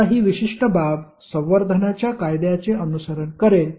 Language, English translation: Marathi, Now, this particular aspect will follow the law of conservation